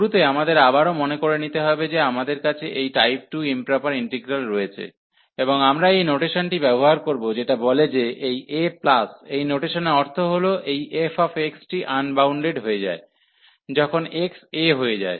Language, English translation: Bengali, So, to start with so we have again to remind we have this type 2 integrals the improper integral, and we will be using this notation which says that this a plus this notation means, this f x becomes unbounded, when x goes to a